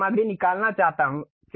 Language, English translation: Hindi, I want to remove the material